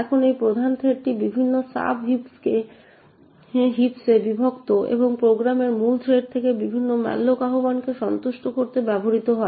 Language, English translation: Bengali, Now this main arena is split into various sub heaps and used to satisfy various malloc invocations from the main thread of the program